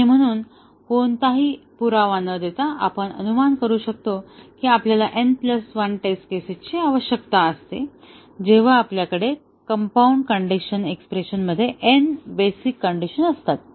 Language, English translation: Marathi, And therefore, without giving any proof, we will speculate that we need n plus 1 test cases, when we have n basic conditions in a compound conditional expression